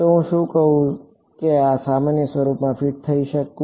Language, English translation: Gujarati, So, can I can I fit into this generic form